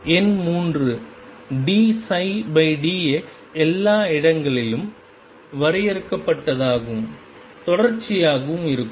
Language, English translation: Tamil, Number 3 d psi by d x be finite and continuous everywhere